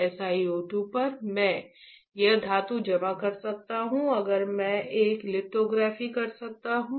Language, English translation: Hindi, On this SiO 2, I can deposit a metal and I can do a lithography